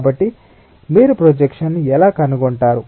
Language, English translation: Telugu, so how do you find out the projection